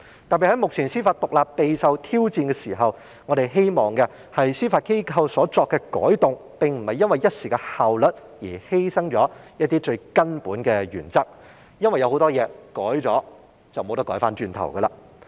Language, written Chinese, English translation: Cantonese, 特別是目前司法獨立備受挑戰，我們希望司法機構所作的改動，並不是因為一時的效率而犧牲了一些最根本的原則，因為有很多東西改動了便無法回頭。, We hope that the changes introduced by the Judiciary are not meant to bring about only ephemeral improvement in efficiency at the expense of some of the most fundamental principles because in most cases there will be no going back once changes are made